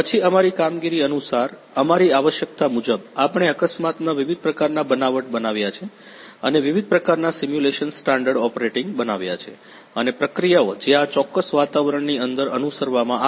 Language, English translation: Gujarati, Then according to our operation; according to our requirement we created different kinds of accident scenarios and different kind of simulation standard operating procedures those are followed inside this particular environment